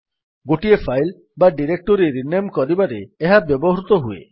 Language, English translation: Odia, It is used for renaming a file or directory